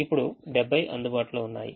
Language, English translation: Telugu, now seventy is available